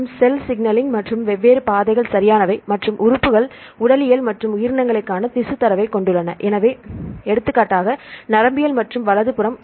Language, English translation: Tamil, And cell signaling and different pathways right and have the tissue data to see the organs and physiology as well as the organisms; for example, neuroscience and so on right